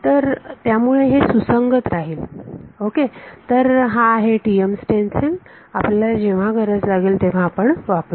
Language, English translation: Marathi, So, it will be consistent ok, so this is the TM stencil that we will refer to when needed